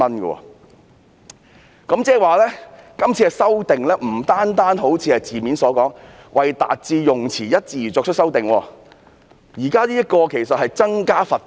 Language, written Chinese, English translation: Cantonese, 換言之，今次修訂不僅好像是字面所說的，"為達致用詞一致而作出的修訂"，現在其實是增加罰款。, In other words the current amendment is not only an amendment to achieve consistency but an actual increase in the amount of fine